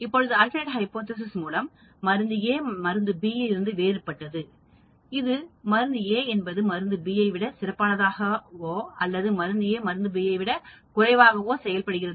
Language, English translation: Tamil, Now, alternate hypothesis could be drug A is different from drug B; that is drug A it could be more better or worse or drug A is better than drug B, drug A is less than or less active than drug B